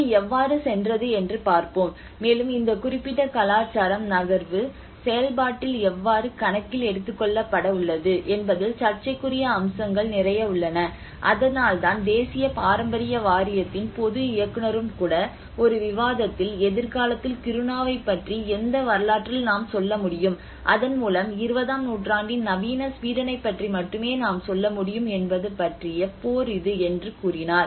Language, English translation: Tamil, Let us see how it went, and there have been a lot of the controversial aspects of how this particular culture has going to be taken into account in the move process so that is where even the general director of national heritage board also wrote in a debate article that you know the battle is about which history we will be able to tell about Kiruna in the future and thereby about the modern Sweden of 20th century right